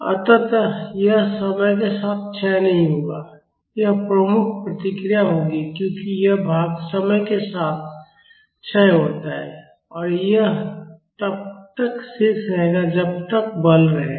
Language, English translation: Hindi, So, this will not decay with time, this will be the predominant response because this part decays with time and this will be remaining as long as the force remains